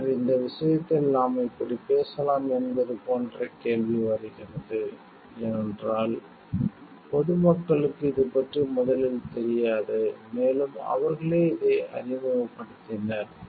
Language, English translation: Tamil, And then, it comes to like question is like we can talk of like in this case, because the general public did not know maybe about it at first and, it is they who have introduced it